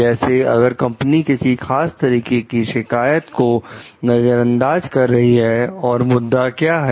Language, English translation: Hindi, In the sense, like if like if the company is neglecting a particular complaint and what is the issue